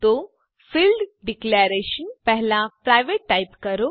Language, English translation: Gujarati, So before the field declarations type private